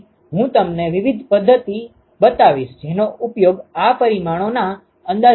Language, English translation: Gujarati, And I will show you different methods that can be used for estimating these parameters ok